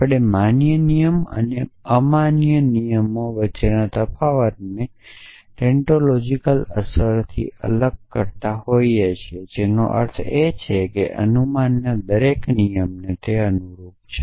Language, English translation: Gujarati, So, how do we distinguish between valid rules, and rules which are not valid rules are based on tantological implications, which means that corresponding to every rule of inference